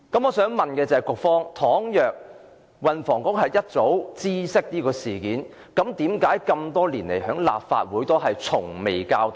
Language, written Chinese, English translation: Cantonese, 我想問，如果運輸及房屋局早已知悉事件，為何這麼多年來從未曾向立法會交代？, The Transport and Housing Bureau was aware of the incident years ago but may I ask why it has never reported it to the Legislative Council?